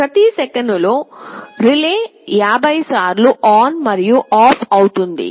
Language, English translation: Telugu, In every second the relay is switching on and off 50 times